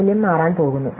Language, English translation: Malayalam, The value is going to change